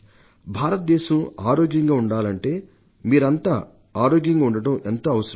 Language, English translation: Telugu, Your staying healthy is very important to make India healthy